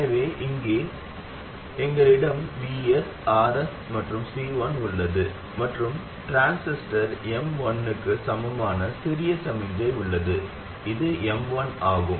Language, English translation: Tamil, So here we have Vs, RS and C1, and we have the small signal equivalent of the transistor M1